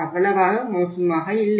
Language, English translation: Tamil, Still it is not that bad